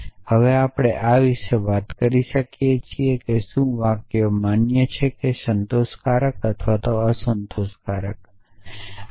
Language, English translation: Gujarati, And we can now talk about this whether the sentences valid or satisfiable or unsatisfiable